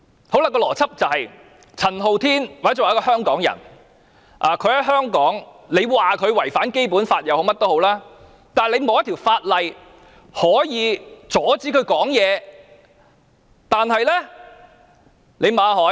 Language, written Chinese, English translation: Cantonese, 我說的邏輯就是，陳浩天或者一個香港人，政府即使說他在香港違反《基本法》，但也沒有一項法律可以阻止他發言。, My logic is that there is no law to stop Andy CHAN or any Hong Kong people from speaking even if he is accused by the Government of violating the Basic Law in Hong Kong